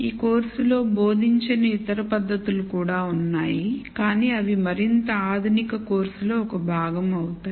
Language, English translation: Telugu, And other techniques are out there which we will not be teaching in this course, but which would be a part of more advanced course